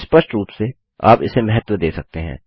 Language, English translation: Hindi, Obviously you can take this into account